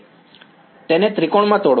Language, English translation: Gujarati, Break it into triangles